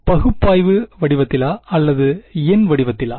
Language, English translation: Tamil, But it gave it to you in analytical form or numerical form